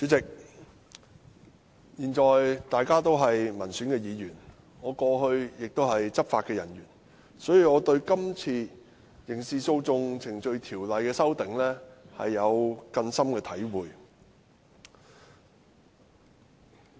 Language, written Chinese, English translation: Cantonese, 主席，我現在是民選議員，過去曾是執法人員，所以我對這次《刑事訴訟程序條例》的擬議修訂有很深的體會。, President I am now an elected Member . Yet I used to be a law enforcement officer and thus I have some profound feelings about the proposed amendment to the Criminal Procedure Ordinance CPO